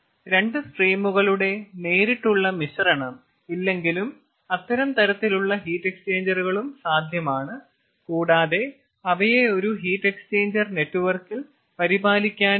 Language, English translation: Malayalam, ah, there is no direct mixing of two stream, though those kind of heat exchangers are also possible and it is also possible to take care of them in a heat exchanger network